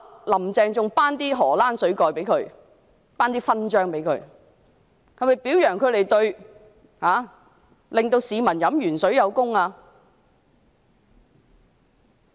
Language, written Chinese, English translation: Cantonese, "林鄭"其後更頒授"荷蘭水蓋"給他們，是否表揚他們讓市民飲鉛水有功？, Carrie LAM even awarded medals to them afterwards . Did she want to commend them for their contribution in letting members of the public drink lead water?